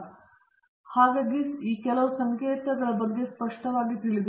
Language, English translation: Kannada, So, please be clear about the notation